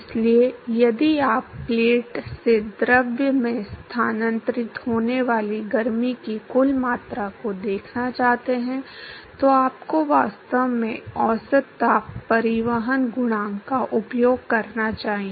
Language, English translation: Hindi, So, if you want to look at the total amount of heat that is transferred from the plate to the fluid, you should actually use the average heat transport coefficient